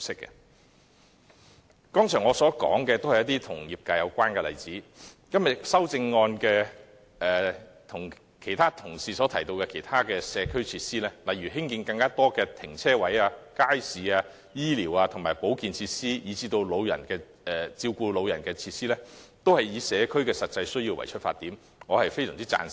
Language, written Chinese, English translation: Cantonese, 我剛才提及的都是與業界有關的例子，與今天同事提及的其他社區設施，例如興建更多泊車位、街市、醫療、保健以至照顧長者的設施，均以社區的實際需要出發，我非常贊成。, The industry - specific examples I mentioned just now together with the community facilities suggested by colleagues today such as the provision of more parking spaces public markets as well as medical and health facilities for the elderly all proceed from the needs of the community . I strongly support them all